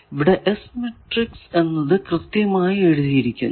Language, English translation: Malayalam, So, let us see the first part that here it is correctly written the S matrix